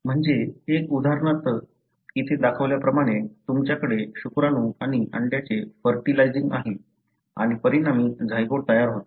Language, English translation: Marathi, One is, for example as shown here, you have sperm and egg fertilizing and resulting in a zygote